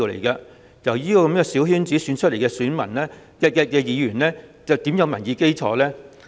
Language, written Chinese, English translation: Cantonese, 因此，由小圈子選出來的議員又怎會有民意基礎？, As such how will Members elected by small circles have a public opinion basis?